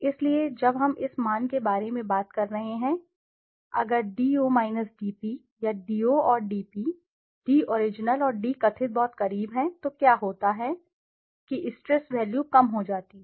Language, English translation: Hindi, So when we are talking about this value if d0 dp or d0 and dp, d original and d perceived are very close then what happens is that the stress value become low